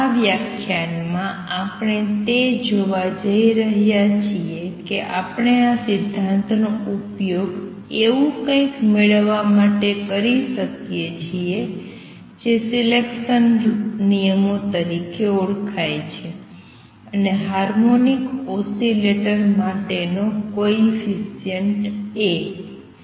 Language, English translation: Gujarati, In this lecture, we are going to see how we can use this principle to derive something called the selection rules and also the A coefficient for the harmonic oscillator